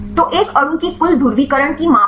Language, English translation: Hindi, So, is the measure of the total polarizability of a molecule